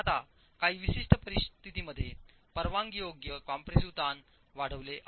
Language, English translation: Marathi, So that is as far as the permissible compressive stress is concerned